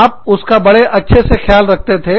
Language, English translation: Hindi, You took, good care of it